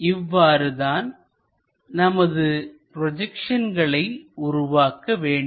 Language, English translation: Tamil, This is the way we have to construct these projections